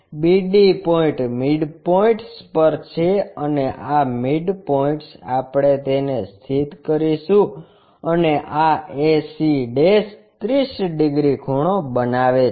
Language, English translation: Gujarati, The BD points are at midpoints and these midpoints we will locate it and this ac' makes 30 degrees